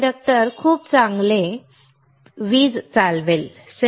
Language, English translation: Marathi, Conductor will conduct electricity very well